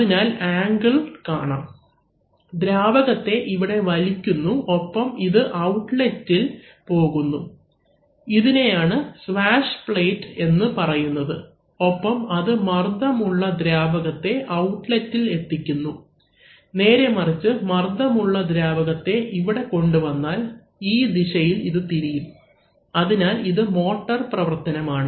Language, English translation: Malayalam, So, because of this angle, the fluid is getting sucked here and then it is getting delivered into this outlet, so this is, this is called a swash plate and this delivers pressurized fluid at this outlet, on the other hand if you apply pressured fluid here and then the fluid will come out through this outlet and this swash plate will actually rotate in this direction, so that is the function of the motor